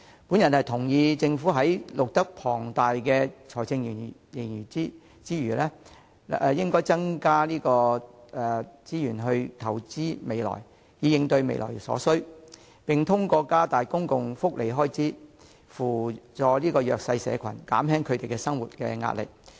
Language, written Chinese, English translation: Cantonese, 我同意政府在錄得龐大的財政盈餘時，應增加資源投資未來，以應對未來所需，也應透過加大公共福利支出，扶助弱勢社群，減輕他們生活的壓力。, I agree that the Government should invest additional resources to address future needs when an enormous fiscal surplus is recorded . Moreover it should increase public welfare expenditure to assist the socially disadvantaged and ease their pressure of living